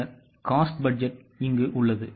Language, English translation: Tamil, Then there are cost budgets